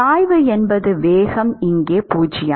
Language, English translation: Tamil, the velocity is 0 here and it is 0 here